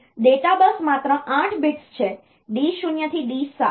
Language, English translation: Gujarati, So, data bus is 8 bit only so, D 0 to D 7